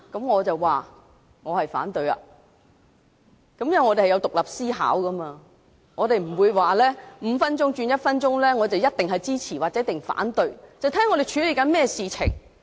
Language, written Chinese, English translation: Cantonese, 我反對，因為我們有獨立思考，我不會說由5分鐘縮短至1分鐘便一定支持或一定反對，要視乎我們正在處理甚麼事情。, I oppose the motion because we should think independently . I will not say that I definitely support or oppose a motion to shorten the duration of the division bell from five minutes to one minute; my decision should be based on the proposal to be dealt with